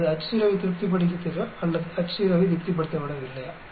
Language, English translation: Tamil, Whether it satisfies the Ho or not satisfies the Ho